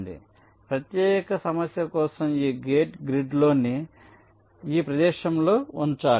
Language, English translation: Telugu, so for this particular problem, this gate has to be placed in this location within the grid